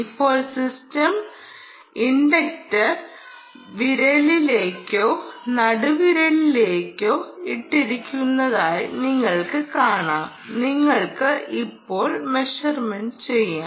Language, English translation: Malayalam, now you can see that the system essentially is strap to either the index finger or the middle finger and ah, you can make a measurement